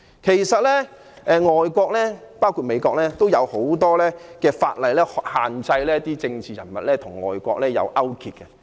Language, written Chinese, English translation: Cantonese, 其實外國——包括美國——制定了很多法例來限制政治人物與外國進行勾結。, Actually foreign countries including the United States have enacted many laws to restrict political figures from colluding with foreign countries